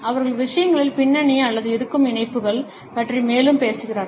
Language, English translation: Tamil, They talk about the background of things or existing links and furthermore